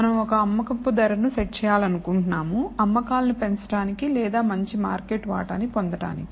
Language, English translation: Telugu, We want to set the selling price of an item in order to either boost sales or get a better market share